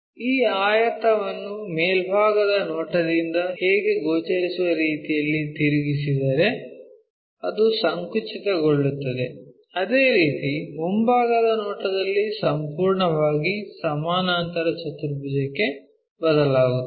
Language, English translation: Kannada, If we rotate it this rectangle the way how it is visible from the top view is rotated, squeezed up, similarly in the front view that completely changes to a parallelogram